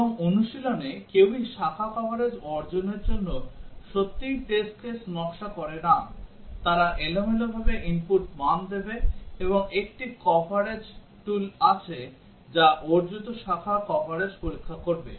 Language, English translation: Bengali, And in practice, nobody really designs test cases to achieve branch coverage they would give input values randomly, and have a coverage tool which will check the branch coverage achieved